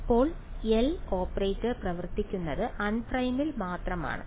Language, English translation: Malayalam, Now L operator it acts only on unprimed